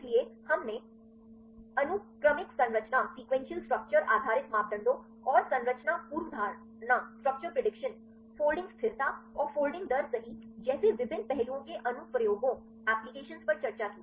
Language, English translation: Hindi, So, we discussed the applications of sequential structure based parameters and various aspects like structure prediction folding stability and the folding rates right